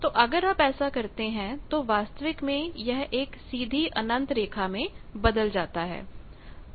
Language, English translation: Hindi, So, you see if you do that actually degenerates to a straight line infinite line